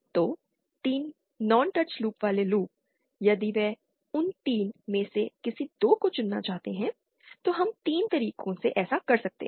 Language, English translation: Hindi, So, 3 non touching loops, if they want to choose any 2 of those 3, we can do that in 3 ways